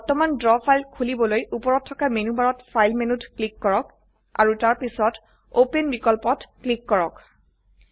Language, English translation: Assamese, To open an existing Draw file, click on the File menu in the menu bar at the top and then click on the Open option